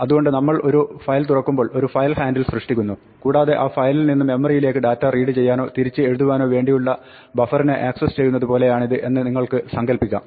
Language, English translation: Malayalam, So, when we open a file we create something called a file handle and you can imagine that this is like getting access to a buffer from which data from that file can read into memory or written back